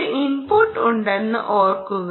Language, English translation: Malayalam, remember, there is an input